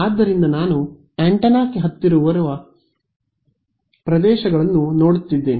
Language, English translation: Kannada, So, I am looking at regions very close to the antenna right